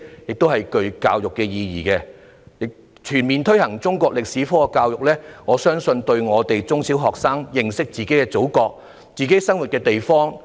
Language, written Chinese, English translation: Cantonese, 此舉亦具有教育意義，就是全面推行中國歷史科教育，可讓中小學生認識祖國及自己生活的地方。, It also serves an education purpose to fully implement the teaching of Chinese history for primary and secondary school students to learn more about their Motherland and the place where they live